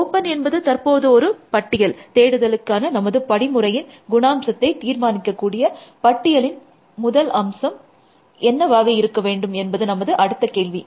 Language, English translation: Tamil, Open is now a list essentially, what should be the first element of the list that is the next question, that will really now determine the behavior of our search algorithm